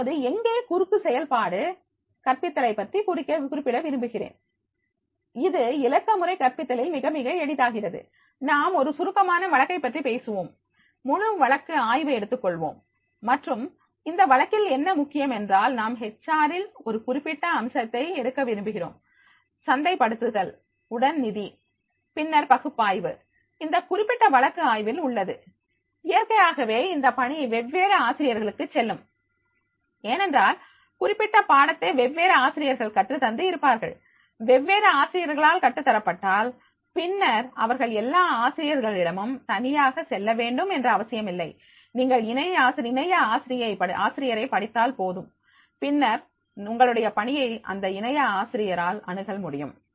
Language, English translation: Tamil, Now, here also I would like to mention that is the cross functional teaching, it becomes very, very easy in digital pedagogy that is the, suppose we have talking a comprehensive case, full case study we are taking and in that case study what is important is that is we want to take the particular aspect with the HR, with the marketing and marketing, with the Finance and then the analysis is there of that particular case study, so naturally this assignment will go to the different teachers because that particular subject has been taught by different teachers, if they are taught by the different teachers, then they need not to go to the separately for the all the teachers, just you read the co teacher and then assignment will be accessible by your co teacher